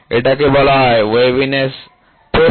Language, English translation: Bengali, This is called as a waviness width, ok